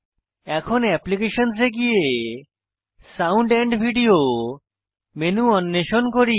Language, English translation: Bengali, Next, under Applications, lets explore Sound menu